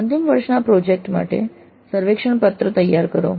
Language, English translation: Gujarati, Design a project survey form for the final year project